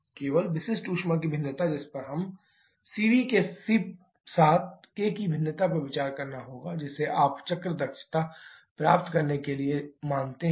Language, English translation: Hindi, Only the variation of specific heat that we have to consider or variation of k with cv that you consider to get the cycle efficiency